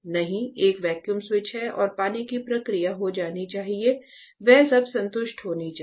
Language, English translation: Hindi, No, one vacuum switch is there and the water process which is there that should be all should be satisfied